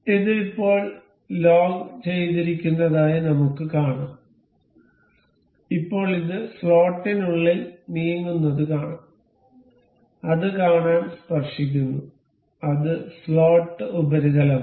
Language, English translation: Malayalam, Now, we can see it is logged now, and now we can see this moving within the slot and it is tangent to see, it the slot surface